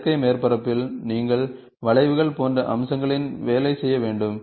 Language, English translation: Tamil, In synthetic surfaces, you have to work on features like curves